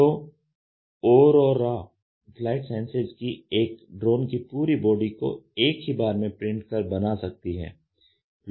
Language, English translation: Hindi, So, aurora flight science can print the entire body of a drone in one build